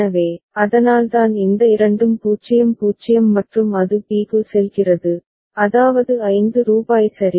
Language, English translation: Tamil, So, that is why these two are 0 0 and it goes to b that is rupees 5 ok